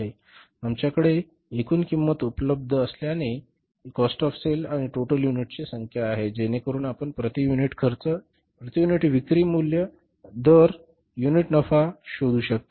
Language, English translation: Marathi, So, since we have the total cost available, means the cost of sales and number of units, so you can easily find out the per unit cost, per unit sales value and the per unit profits